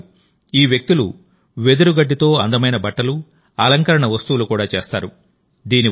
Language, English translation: Telugu, Not only this, these people also make beautiful clothes and decorations from bamboo grass